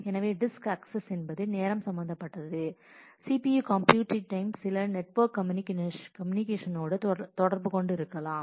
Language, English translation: Tamil, So, access time of the disk will be involved, the computing time in CPU may be involved even some network communication may get involved